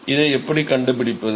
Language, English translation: Tamil, So, how do we find this